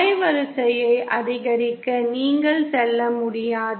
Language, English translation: Tamil, You cannot go on increasing the band width